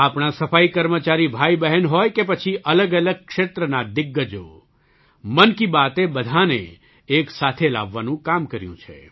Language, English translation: Gujarati, Be it sanitation personnel brothers and sisters or veterans from myriad sectors, 'Mann Ki Baat' has striven to bring everyone together